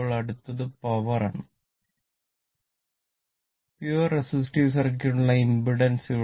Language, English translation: Malayalam, Now, next is the power, the impedance for a pure resistive circuit